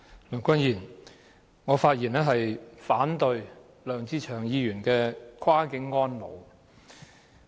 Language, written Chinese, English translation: Cantonese, 梁君彥，我發言反對梁志祥議員的"跨境安老"議案。, Andrew LEUNG I speak in opposition to Mr LEUNG Che - cheungs motion on Cross - boundary elderly care